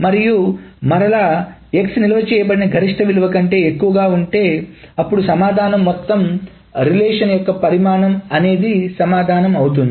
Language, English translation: Telugu, And if we again, x is greater than the maximum value that is stored, then the answer is the entire relation